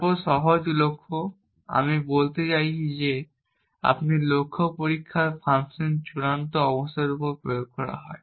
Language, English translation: Bengali, Then simple goals, I mean that we have the goal test function is on applied on the final state